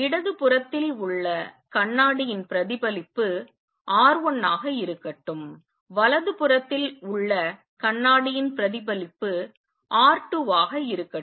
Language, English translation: Tamil, Let the reflectivity of mirror on the left be R 1, the reflectivity of the mirror on the right be R 2